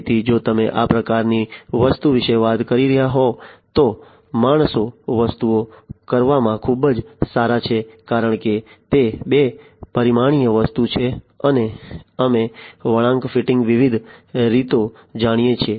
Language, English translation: Gujarati, So, if you are talking about this kind of thing, the humans are very good in doing things because it is a 2 dimensional thing and we know different ways of curve fitting etcetera